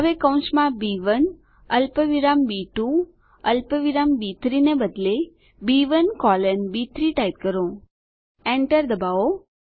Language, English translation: Gujarati, Now, within the braces, instead of B1 comma B2 comma B3, type B1 colon B3 Press Enter